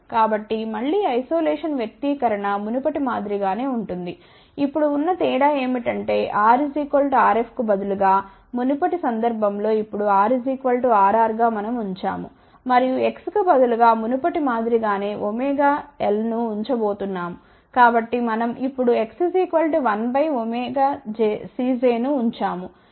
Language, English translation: Telugu, So, again isolation expression is same as before, the only difference is now that instead of R equal to R f put in the earlier case, now we are going to put R equal to R r and instead of X putting in the earlier case as omega L